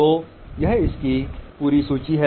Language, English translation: Hindi, So, this is a whole list of it